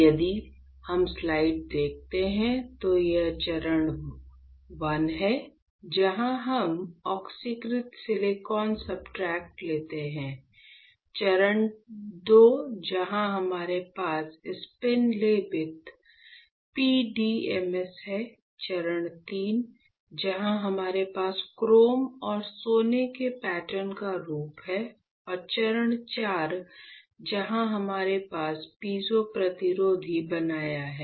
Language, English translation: Hindi, So, if you see the slide what we are seeing is, the step I where we take oxidized silicon substrate; step II where we have spin coated PDMS, step III where we have the form of the pattern of chrome and gold, and step IV where we have formed the piezo resistor